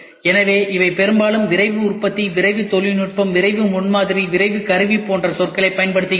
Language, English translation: Tamil, So, these are the terminologies which are often used Rapid Manufacturing, Rapid Technology, Rapid Prototyping, Rapid Tooling